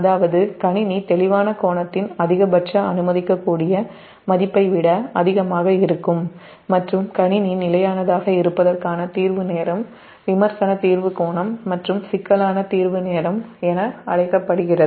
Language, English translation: Tamil, so that's why i am putting it here that the maximum allowable value of the clearing angle and the clearing time of the system to remain system stable are known as critical clearing angle or critical clearing time